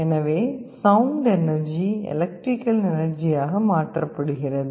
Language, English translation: Tamil, So, sound energy gets converted into electrical energy